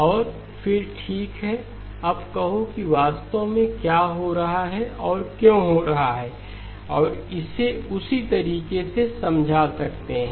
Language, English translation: Hindi, And then say okay now what exactly is happening and why is it happening and be able to explain it in that fashion